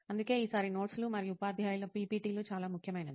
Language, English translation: Telugu, So that is why notes and teacher’s PPTs are very important this time